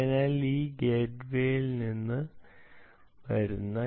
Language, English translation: Malayalam, so this is coming from the gateway